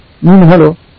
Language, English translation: Marathi, I said, Whoa